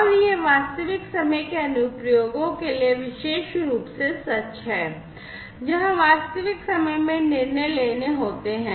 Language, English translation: Hindi, And this is particularly true for real time applications, where there are real time you know decisions will have to be taken in real time